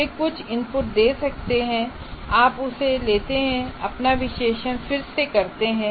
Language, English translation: Hindi, And then if they may give some inputs, you make that and again redo, redo your analysis